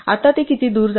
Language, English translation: Marathi, Now, how far does this go